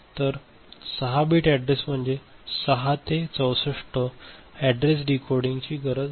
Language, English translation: Marathi, So, 6 bit address; 6 to 64 address decoding that is what is happening ok